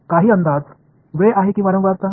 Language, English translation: Marathi, Any guesses, is it time or frequency